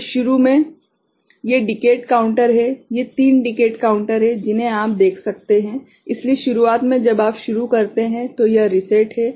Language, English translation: Hindi, So, initially these are the decade counters, these three 3 are decade counters, that you can see right; so, initially when you start, it is it reset ok